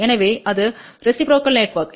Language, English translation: Tamil, So, that is reciprocal network